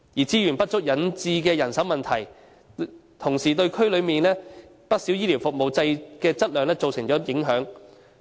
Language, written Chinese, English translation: Cantonese, 資源不足引致的人手問題，同時對區內不少醫療服務的質量造成影響。, The manpower problem caused by insufficient resources has at the same time affected the quality of quite many healthcare services in the region